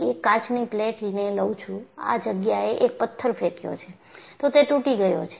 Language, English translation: Gujarati, Here, I am showing a glass plate, I have just thrown a stone in this place, it will break